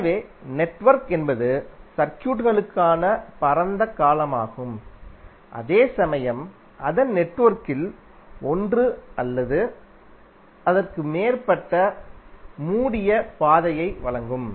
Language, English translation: Tamil, So network is the broader term for the circuits, while in case of circuit its network which providing one or more closed path